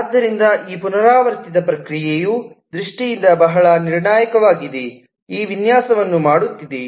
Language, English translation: Kannada, so this repetitive process is very critical in terms of doing this design